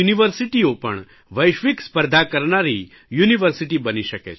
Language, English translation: Gujarati, Indian universities can also compete with world class universities, and they should